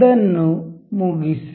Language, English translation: Kannada, Just kill it